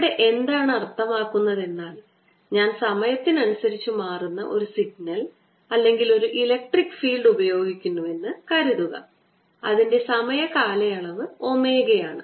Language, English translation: Malayalam, again, what we mean by that is: let's suppose i am applying a signal or electric field which is changing in time, the time period is omega